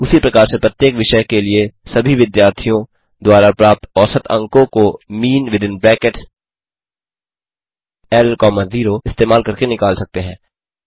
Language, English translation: Hindi, Similarly to calculate average marks scored by all the students for each subject can be calculated using mean within brackets L comma 0